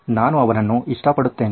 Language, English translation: Kannada, I love him